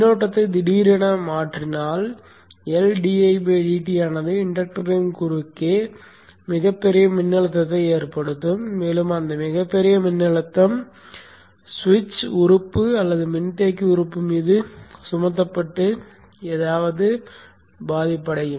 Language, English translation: Tamil, This is because the inductor current cannot change suddenly because the LDI by DT will cause a very large voltage across the inductor if the current changes suddenly and that very large voltage will get imposed on the switch element or the capacitor element and something will blow